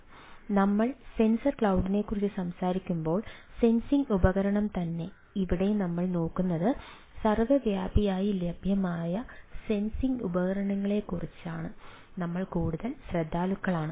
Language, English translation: Malayalam, so when we talk about sensor cloud, we are more more concerned about that, the sensing device itself, where in a what we are looking at, these are sensing devices which are ah ubiquitously available